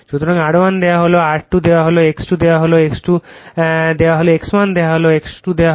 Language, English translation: Bengali, So, R 1 is given R 2 is given, X 1 is given X 2 X 2 is given